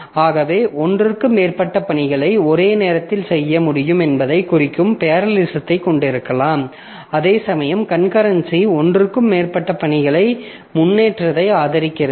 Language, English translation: Tamil, So, we can have parallelism that implies that system can perform more than one task simultaneously, whereas concurrency supports more than one task making progress